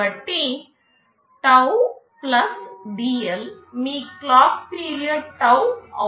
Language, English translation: Telugu, So, taum + dL will be your clock period tau